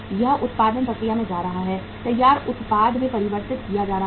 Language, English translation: Hindi, It is going to the production process, being converted into the finished product